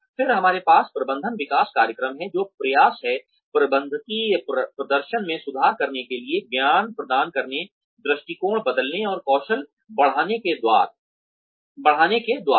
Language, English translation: Hindi, Then, we have management development programs, which are the attempts, to improve managerial performance, by imparting knowledge, changing attitudes, and increasing skills